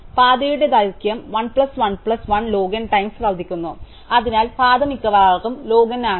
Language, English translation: Malayalam, So, the path length increases 1 plus 1 plus 1 log n times, so the path is at most log n